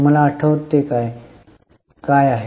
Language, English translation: Marathi, Do you remember what is this